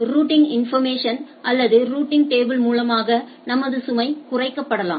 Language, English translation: Tamil, And then my load on this routing information or routing table can be reduced